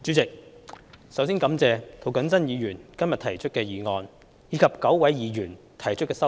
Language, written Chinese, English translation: Cantonese, 主席，首先感謝涂謹申議員今天提出議案，以及9位議員提出修正案。, President first of all I thank Mr James TO for proposing the motion today and nine Members for proposing their amendments